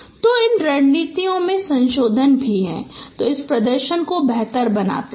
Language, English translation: Hindi, So there are also modification of the strategies which improves this performance